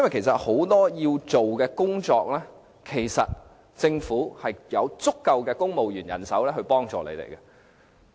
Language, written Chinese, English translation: Cantonese, 政府很多應做的工作，其實有足夠公務員人手可以提供協助。, Actually there is adequate civil service manpower to assist the Government in doing what it is supposed to do